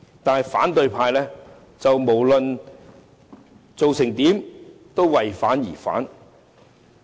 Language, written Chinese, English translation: Cantonese, 但是，無論政府做得怎樣，反對派也為反而反。, However regardless of the Governments performance the opposition will oppose for the sake of opposing